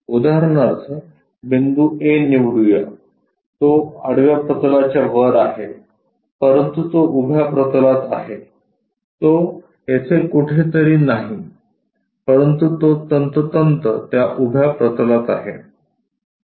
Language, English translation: Marathi, For example, let us pick point A, it is above the horizontal plane, but it is on vertical plane, it is not here somewhere, but it is precisely on that vertical plane